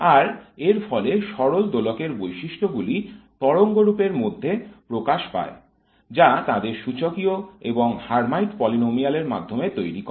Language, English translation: Bengali, And therefore the properties of the harmonic oscillator are reflected in the wave function which builds them through the exponential as well as through the Hermite polynomial